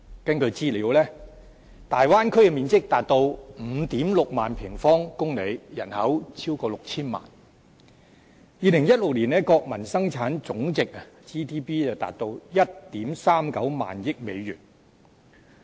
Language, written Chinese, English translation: Cantonese, 根據資料，大灣區的面積達到 56,000 平方公里，人口超過 6,000 萬 ；2016 年的國民生產總值達到 13,900 億美元。, According to the information the Bay Area has an area of 56 000 sq km and a population of over 60 million people . In 2016 its gross domestic product GDP reached US1,390 billion